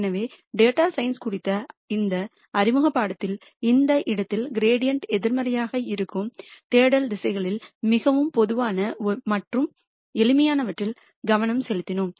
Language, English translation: Tamil, So, we here in this introductory course on data science we focused on the most common and the simplest of the search directions which is the negative of the gradient at that point